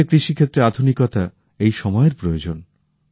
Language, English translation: Bengali, Modernization in the field of Indian agriculture is the need of the hour